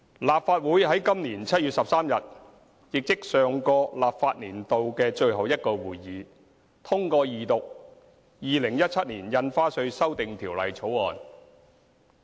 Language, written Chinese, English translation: Cantonese, 立法會於今年7月13日，亦即上個立法年度的最後一個會議，通過二讀《2017年印花稅條例草案》。, On 13 July this year that is at the last meeting in the last legislative session the Legislative Council passed the motion for the Second Reading of the Stamp Duty Amendment Bill 2017 the Bill